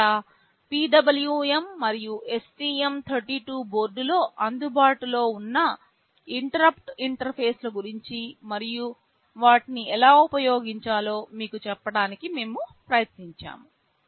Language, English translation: Telugu, Here, we have tried to tell you about the PWM and the interrupt interfaces that are available on the STM 32 board and how to use them